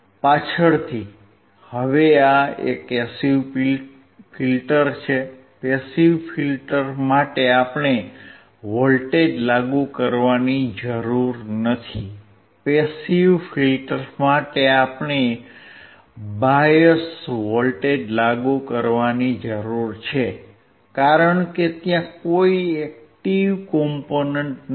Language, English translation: Gujarati, Later on, now this is a passive filter, for passive filter we do not require to apply the voltage, for passive filter we required to apply the biased voltage because there is no active, component